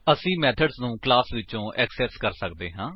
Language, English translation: Punjabi, We can access a method from the class